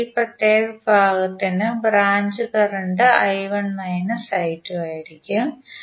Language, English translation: Malayalam, So for this particular segment the branch current would be I1 minus I2